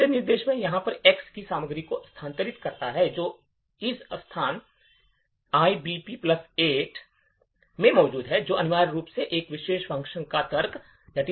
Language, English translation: Hindi, The third instruction this one here moves the content of X that is present in this location EBP plus 8, which essentially is the argument this particular function